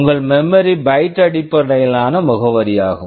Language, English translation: Tamil, And your memory is byte addressable